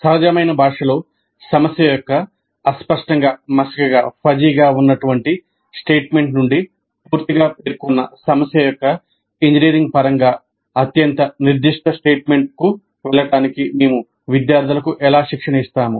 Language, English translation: Telugu, So how do we train the students in moving from the Fudgee statement of the problem in a natural language to highly specific statement in engineering terms of a completely specified problem